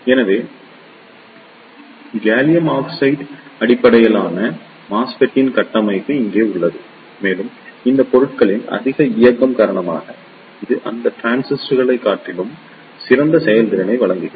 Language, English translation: Tamil, So, here is the structure of gallium arsenide base MESFET and it provides better performance over other transistor due to the higher mobility of these materials